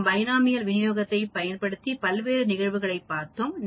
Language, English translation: Tamil, Here we have the Binomial Distribution